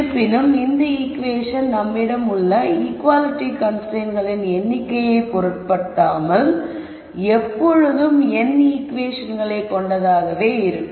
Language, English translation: Tamil, However, this equation irrespective of the number of equality constraints you have will always be n equations